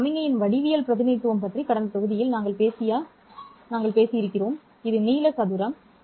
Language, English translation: Tamil, This is the length squared that we talked about in the last module, right, about the geometric representation of the signal